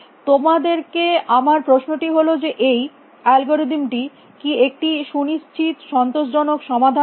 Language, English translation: Bengali, I am asking the question that this algorithm does it guarantee you an optimal solution